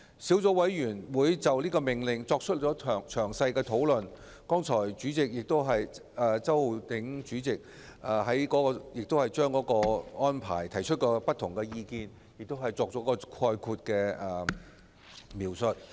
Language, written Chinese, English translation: Cantonese, 小組委員會就《命令》進行詳細的討論，周浩鼎議員剛才亦就差餉寬減的安排提出不同意見，並作出概括描述。, The Subcommittee has discussed the Order in detail and just now Mr Holden CHOW also raised various opinions on the rates concession arrangements and made a general description